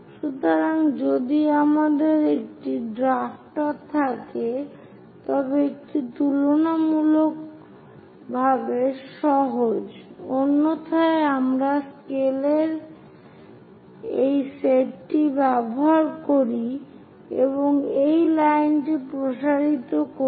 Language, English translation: Bengali, So, if you have a drafter, it is quite easy; otherwise, we use this set of scales and extend this is line